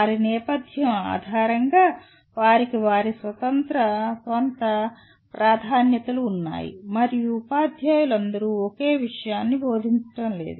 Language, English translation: Telugu, Based on their background, they have their own preferences and all teachers are not teaching the same subject